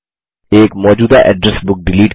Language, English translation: Hindi, Delete an existing Address Book